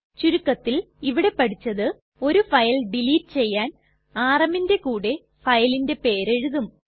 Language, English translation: Malayalam, That is do delete a single file we write rm and than the name of the file